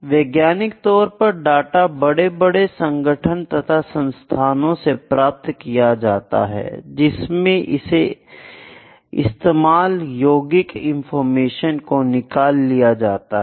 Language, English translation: Hindi, So, in scientific research data is collected by a huge range of organization and institutions and that is used to extract some information